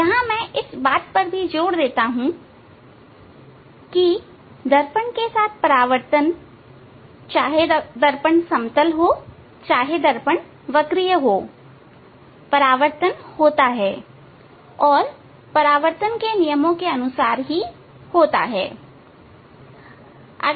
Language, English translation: Hindi, Here also its a from curves were here what I want to emphasize that the reflection from the mirror whether it is plane mirror whether it is curved mirror this reflection occurs; reflection occurs following the laws of reflection